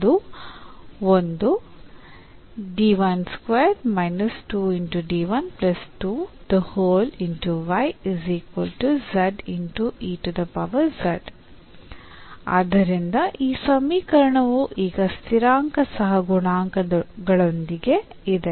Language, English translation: Kannada, So, this equation now is with constant coefficients